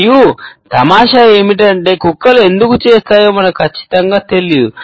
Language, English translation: Telugu, And the funny thing is we do not even know for sure why dogs do it